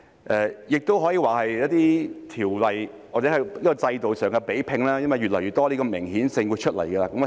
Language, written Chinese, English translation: Cantonese, 今次亦可以說是一些條例或制度上的比拼，因為越來越多的明顯性會出現。, This can also be said as a competition among some ordinances or systems as the picture will become clear in more and more respects